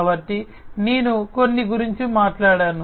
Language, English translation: Telugu, So, let me just talk about some